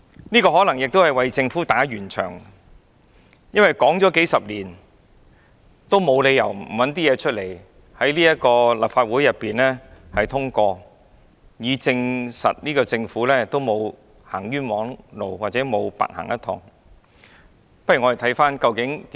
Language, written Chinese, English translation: Cantonese, 這可能亦是為政府打圓場，因為談了數十年，沒有理由不拿出一些東西在立法會通過，以證實政府沒有走冤枉路或沒有白走一趟。, Maybe the Government is just trying to smooth things over because after decades of discussion it has to table something to be passed by the Legislative Council so as to prove that its efforts have not been in vain